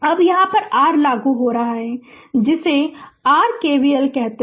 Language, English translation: Hindi, So, to get this what you do apply here K V L